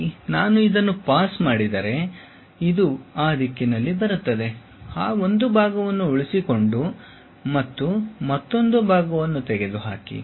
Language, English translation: Kannada, If I have something like this pass, comes in that direction, retain that part, retain that part and remove this